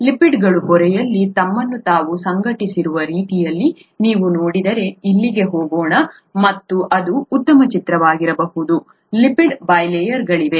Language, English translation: Kannada, The, if you look at the way the lipids have organised themselves in the membrane there are, let’s go here it might be a better picture; there are lipid bilayers